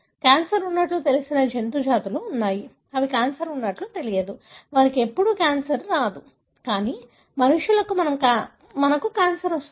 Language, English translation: Telugu, There are species of animal that are known to have cancer, that are not known to have cancer; they never get cancer, but humans we get cancer